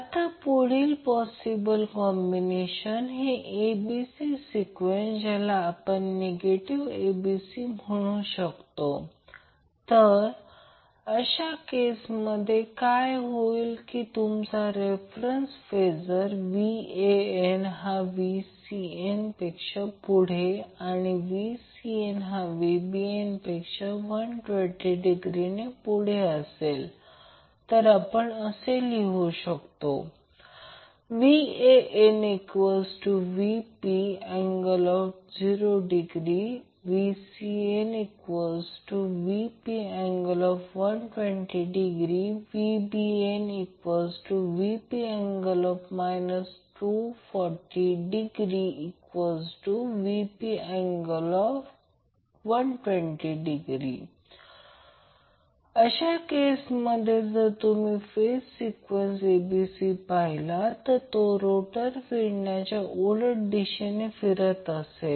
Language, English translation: Marathi, Now next possible combination is say ACB sequence which is called as a negative sequence, so in that case what happens that you are reference phasor that is VAN is leading VCN by 120 degree and then VCN is VCN is leading VBN by another 120 degree, so what we write mathematically we write VAN is nothing but VP angle 0 degree, VP is the RMS value of the voltage VCN is VP angle minus 120 degree VBN will be VP angle minus 240 degree or you can write VP angle 120 degree